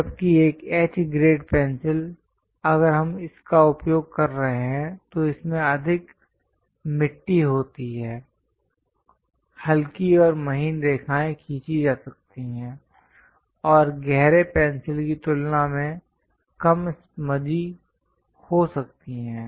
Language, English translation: Hindi, Whereas a H grade pencil, if we are using it, this contains more clay, lighter and finer lines can be drawn and less smudgy than dark pencil